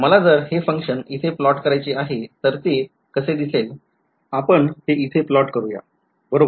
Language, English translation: Marathi, If I want to plot this function over here what will it look like